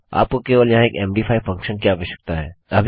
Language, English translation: Hindi, You just need have an MD5 function here